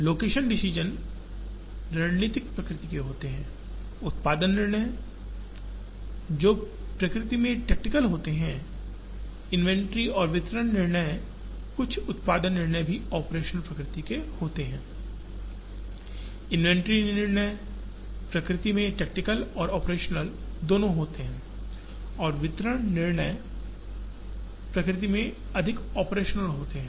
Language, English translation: Hindi, The location decisions which are strategic in nature, the production decisions which are tactical in nature, the inventory and distribution decisions, some of the production decisions are also operational in nature, inventory decisions are both tactical and operational in nature and distribution decisions are more operational in nature